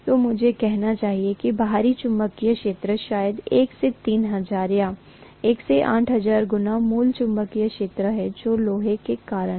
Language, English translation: Hindi, So I should say the external magnetic field maybe from 1 by 3000 or 1 by 4000 times the original magnetic field which is due to iron